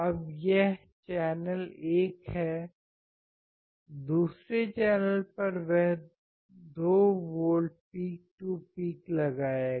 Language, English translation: Hindi, Now, this particular is one channel; second channel he will apply 2 volts peak to peak